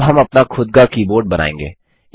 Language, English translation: Hindi, We shall now create our own keyboard